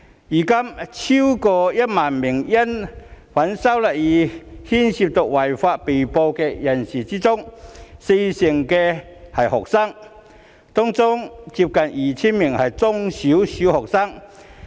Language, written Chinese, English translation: Cantonese, 現時超過1萬名因反修例風波而涉及違法行為的被捕人士中，有四成是學生，當中接近 2,000 名是中小學生。, Currently among the more than 10 000 arrestees who are involved in unlawful acts in connection with the disturbances 40 % are students and nearly 2 000 of them are primary and secondary students